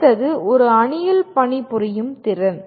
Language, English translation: Tamil, And next one is ability to work in a team